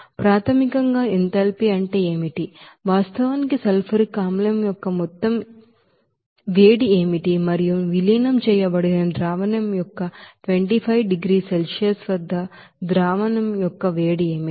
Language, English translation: Telugu, So what is the enthalpy basically, that is actually what will be the amount of sulfuric acid and what will be the heat of solution at that 25 degrees Celsius of the diluted solution